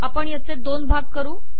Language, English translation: Marathi, So let us break it into two